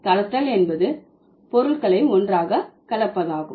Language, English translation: Tamil, So, blending means mixing things together